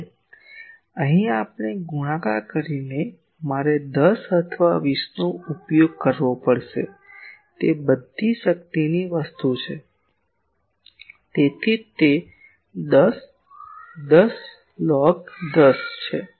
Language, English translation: Gujarati, Now, here multiplied I will have to use 10 or 20; it is all power thing that is why it is 10, 10 log 10